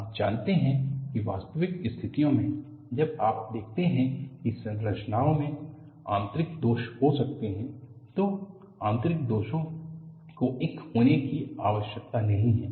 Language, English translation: Hindi, You know, in real situations, when you say structures can have internal flaws, the internal flaws need not be one